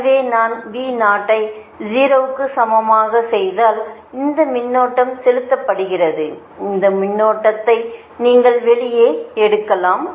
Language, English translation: Tamil, so if i make v zero is equal to zero and this current is getting injected and you take all this current out, then i one is equal to your first